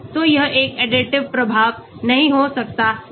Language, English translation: Hindi, so it may not be an additive effect